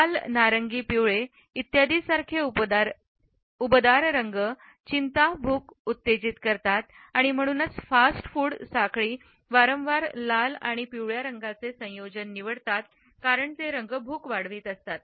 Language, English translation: Marathi, Warm colors such as red, orange, yellow etcetera increase anxiety, appetite, arousal and therefore, fast food chains often choose color combinations of red and yellow because these colors increase appetite